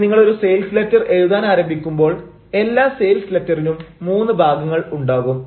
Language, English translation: Malayalam, now, when you start writing a sales letter, every sales letter will have three parts